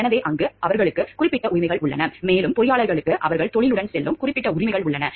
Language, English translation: Tamil, So, there they have particular rights also engineers also have particular rights which goes with their profession